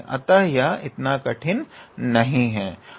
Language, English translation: Hindi, So, it is not that difficult